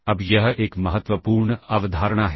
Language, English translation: Hindi, Now this is an important concept